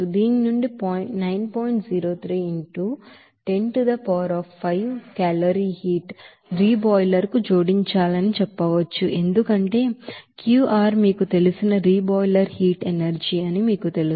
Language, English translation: Telugu, 03 into 10 to the power 5 calorie heat to be added to the reboiler because this Qr is the you know that reboiler heat energy supplied to that you know reboiler